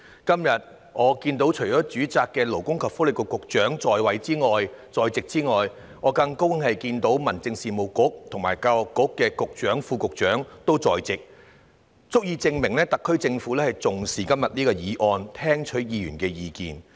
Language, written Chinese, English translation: Cantonese, 然而，今天除了主責的勞工及福利局局長在席外，我很高興看到民政事務局局長和教育局副局長同樣在席，足以證明特區政府重視今天這項議案，願意聽取議員的意見。, However today I am so glad to see that apart from the Secretary for Labour and Welfare who is the official - in - charge the Secretary for Home Affairs and the Under Secretary for Education are also present . It is sufficient to prove that the SAR Government attaches great importance to the motion today and is willing to listen to the views of Members